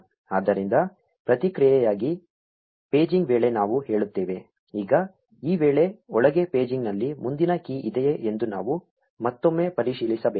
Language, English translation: Kannada, So, we say if paging in response, now inside this if, we again need to check if there is a next key present in paging